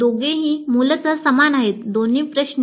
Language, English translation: Marathi, Both are same essentially both questions